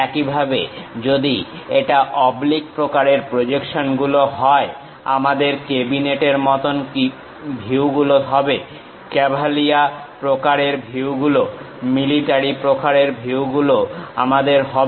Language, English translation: Bengali, Similarly if it is oblique kind of projections, we have cabinet kind of views, cavalier kind of views, military kind of views we have